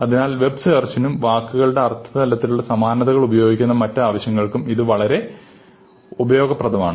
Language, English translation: Malayalam, So, this is very useful for web search and the other thing that you might want to do is, measure similarity of words in terms of meaning